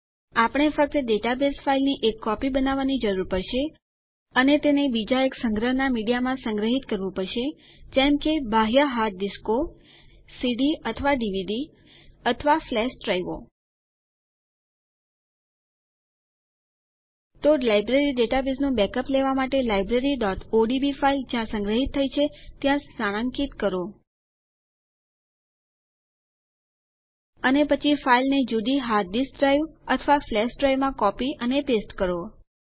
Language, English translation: Gujarati, We will just need to make a copy of the database file And store it in secondary media of storage, such as external hard disks, or CDs or DVDs, or flash drives So to take a backup of the Library database, locate where Library.odb file is saved And then, copy and paste the file in a different hard disk drive or into a flash drive